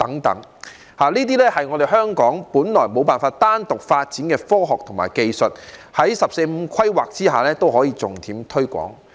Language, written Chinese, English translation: Cantonese, 這些都是香港本來無法單獨發展的科學和技術，但在《十四五規劃綱要》下，仍可重點推廣。, While Hong Kong may not be able to develop these sciences and technologies on our own we have made them priority promotion tasks under the 14th Five - Year Plan